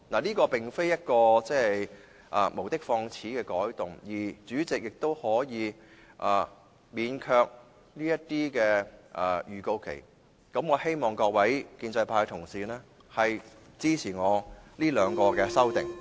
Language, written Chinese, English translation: Cantonese, 這並非無的放矢的改動，而主席亦可以免卻這些預告期，我希望各位建制派同事支持我這兩項修正案。, This is not an amendment arbitrarily proposed by me as the President can dispense with such notice anyway . I hope that the pro - establishment Members can support my two amendments